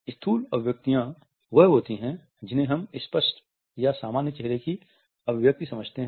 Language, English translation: Hindi, Macro expressions are what we understand to be obvious or normal facial expressions